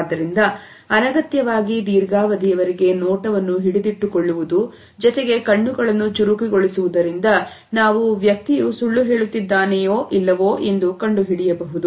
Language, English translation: Kannada, So, holding the gaze for an unnecessarily longer period as well as darting eyes both me suggest that the person is lying